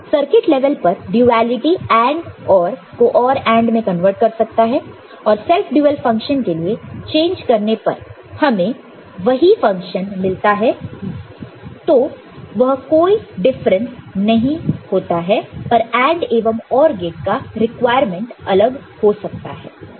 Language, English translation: Hindi, And, duality at circuit level can convert from AND OR to OR AND and for self dual function changing and or we get the same function and does not make any difference, but from requirement of AND and OR gate, may become different, ok